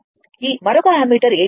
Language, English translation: Telugu, This another ammeter A 2 is there